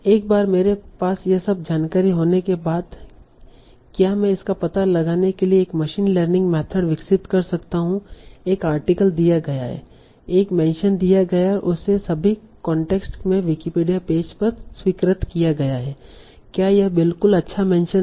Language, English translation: Hindi, So once I have all this information, can I develop a machine learning method to detect given an article given a mention and its approved Wikipedia page all the context is it a good mention at all given a phrase with all these attributes is it a good mention for this document or not